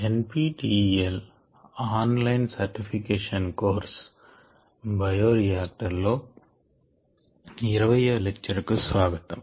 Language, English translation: Telugu, this is the nptel online certification course on bioreactors